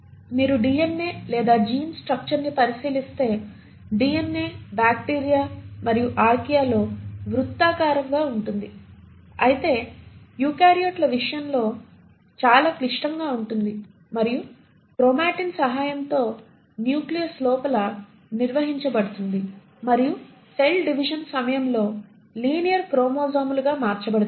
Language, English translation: Telugu, If you were to look at DNA or the gene structure, the DNA is circular in bacteria and Archaea, but in case of eukaryotes is far more complex and with the help of chromatin is organised inside the nucleus and the can at the time of cell division convert to linear chromosomes